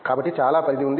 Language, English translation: Telugu, So, there is a lot of scope